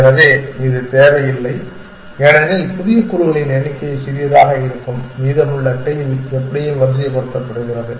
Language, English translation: Tamil, So, this is not needed that because the number of new elements is going to be small and the rest of the tail is anyway sorted